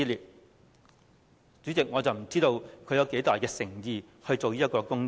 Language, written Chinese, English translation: Cantonese, 代理主席，我不知道她有多大誠意做這個工作？, Deputy President I do not know how sincere she is in this commitment?